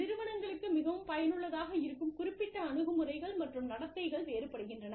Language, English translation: Tamil, The specific attitudes and behaviors, that will be most effective for organizations, differ